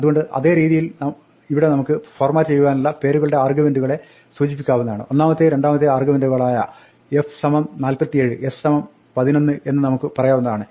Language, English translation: Malayalam, So, in same way here we can specify names of the arguments to format, we can say f is equal to 47, s is equal to 11, that is first and second